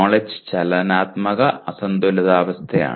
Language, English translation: Malayalam, Knowledge is dynamic unbalanced conditions